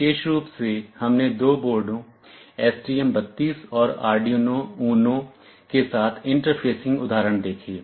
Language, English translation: Hindi, Specifically, we saw the interfacing examples with two boards, the STM32 and the Arduino UNO